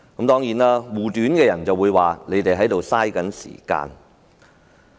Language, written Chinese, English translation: Cantonese, 當然，護短的人會說我們在浪費時間。, Certainly people covering up their faults will say we are wasting time